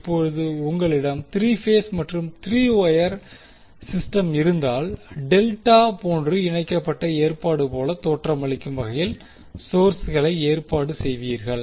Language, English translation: Tamil, Now, if you have 3 phase 3 wire system, you will arrange the sources in such a way that It is looking like a delta connected arrangement